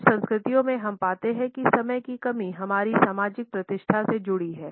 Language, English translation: Hindi, In some cultures we find that lack of punctuality is associated with our social prestige